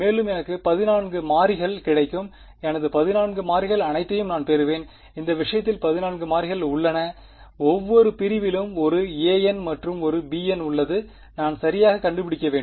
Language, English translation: Tamil, So, I will get 14; I will get all my 14 variables, there are 14 variables in this case right each segment has a a n and a b n that I need to find out right